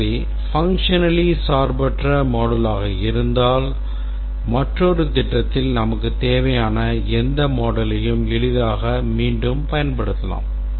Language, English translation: Tamil, So if we have a functionally independent set of modules, any module that we need another project we can easily reuse that